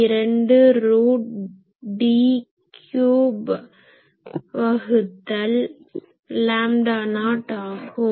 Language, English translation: Tamil, 62 root over D cube by lambda not